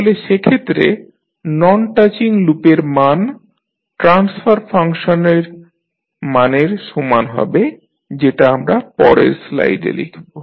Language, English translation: Bengali, So, in that case the value of non touching loops will be equal to the value of the transfer functions that is let us write in the next slide